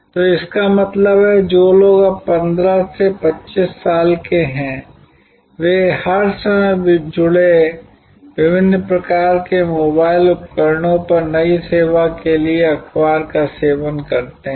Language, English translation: Hindi, So, that means, people who are now 15 to 25 year old, they consume newspaper for new service on various kinds of mobile devices connected often all the time